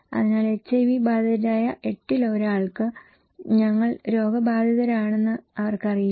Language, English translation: Malayalam, So, 1 in 8 living with HIV, they don’t know that they are infected